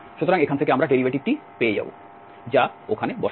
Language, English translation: Bengali, So, from here we will get the derivative put there